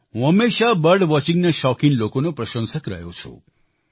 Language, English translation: Gujarati, I have always been an ardent admirer of people who are fond of bird watching